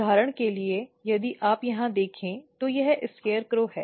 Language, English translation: Hindi, For example, if you look here this is SCARECROW